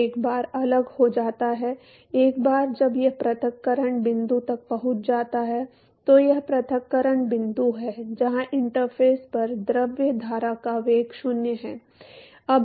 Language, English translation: Hindi, Now once in separates out; once it reaches the separation point, So, this is the separation point where the velocity of the fluid stream at the interface is 0